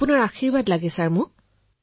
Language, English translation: Assamese, I need your blessings